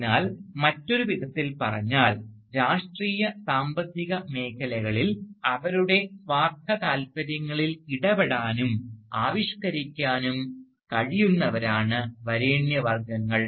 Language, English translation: Malayalam, So, in other words, the elites are the people who can intervene and articulate their self interests within the field of politics and economics